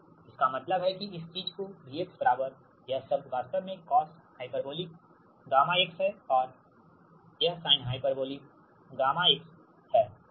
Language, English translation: Hindi, that means this thing can be written as v x is equal to this term actually cos hyperbolic x, right gamma x, and this is sin hyperbolic gamma x, right